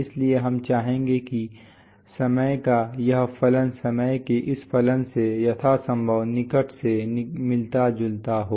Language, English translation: Hindi, So we would like that this function of time resembles this function of time as closely as possible